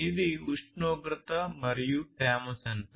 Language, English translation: Telugu, So, this is a temperature and humidity sensor